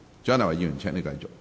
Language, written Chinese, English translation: Cantonese, 蔣麗芸議員，請繼續發言。, Dr CHIANG Lai - wan please continue